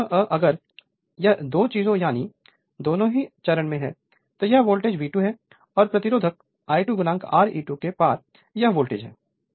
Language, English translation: Hindi, If both if this 2 things if both are in phase right so, this is my voltage V 2 and this is your and voltage drop across resistance I 2 into R e 2 right